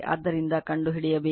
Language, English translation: Kannada, So, you have to find out